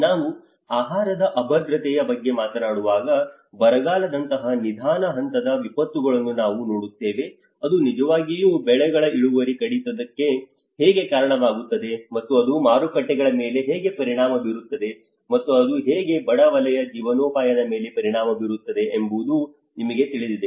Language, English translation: Kannada, When we talk about the food insecurity, we see a slow phase disasters like the drought, you know how it can actually yield to the reduction of crops and how it will have an impact on the markets and how it turn impact on the livelihoods of the poor sector